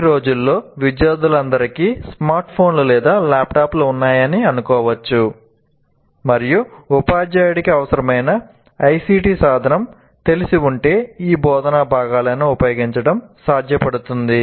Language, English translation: Telugu, But if you, these days, assuming that all students have smartphones or laptops, and then the teacher is familiar with a particular ICT tool, they can readily be used